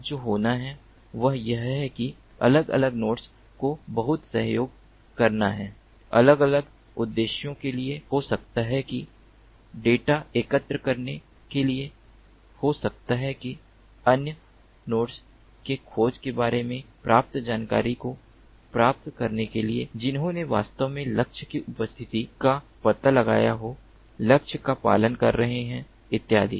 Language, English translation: Hindi, now what has to happen is the different nodes have to do lot of cooperation for different purposes, maybe for aggregating the data, maybe for ah, relaying the information that has been received about the tracking from other nodes who have actually detected the presence of the target, or who are following the target, and so on and so forth